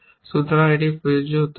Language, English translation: Bengali, So, it must be applicable